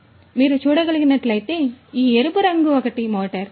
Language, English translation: Telugu, So, as you can see this red colored one is a motor